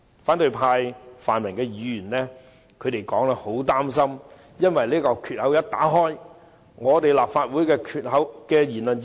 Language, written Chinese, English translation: Cantonese, 反對派、泛民議員一直擔心，一旦開了先例，立法會便會失去言論自由。, The opposition or pan - democratic Members have all along been worried that once a precedent is set the Legislative Council will no longer enjoy freedom of speech